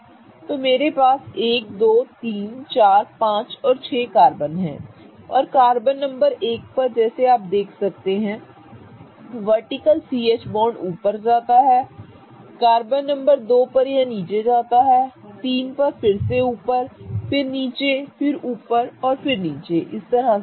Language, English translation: Hindi, So, now if I look at carbon numbers 1 and 3 and 5, all of these carbons have, as you can see these bonds going up, the CH bonds on these carbons are going up and the bonds on 2, 4 and 6th carbon, those CH bonds are going down